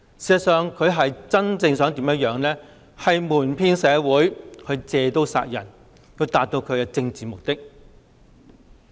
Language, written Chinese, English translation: Cantonese, 事實上，她真正是想瞞騙社會，借刀殺人以達到其政治目的。, In fact her real intention is to deceive the community and advance her political agenda by weaponizing the Bill